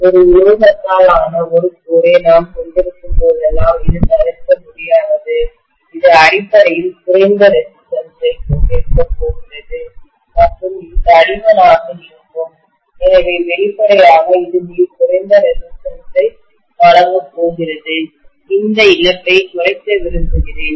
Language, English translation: Tamil, This is unavoidable whenever I have a core which is made up of a metal, which is going to have lower resistance basically and which is going to be thick, so obviously it is going to offer very very less resistance, I want to minimize this loss